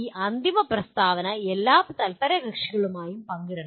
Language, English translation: Malayalam, And these final statement should be shared with all stakeholders